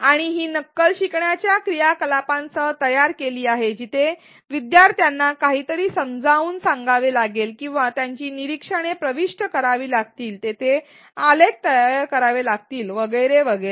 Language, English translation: Marathi, And these simulations are designed along with learning activities built around the simulations where learners have to explain something or enter their observations, they have to create graphs and so on